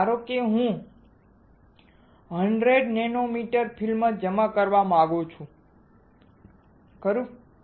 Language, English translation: Gujarati, So, this is suppose I want to deposit 100 nanometer of film, right